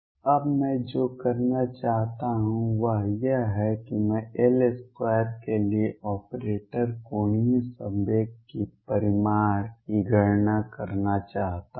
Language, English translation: Hindi, Now, what I want to do is from this I want to calculate the operator for operator for L square the magnitude of the angular momentum